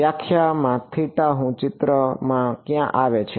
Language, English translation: Gujarati, In the definition where does theta I come into the picture